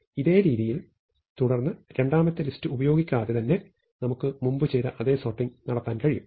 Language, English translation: Malayalam, So, we keep doing this and without using a second list we are able to do the same sorting that we did before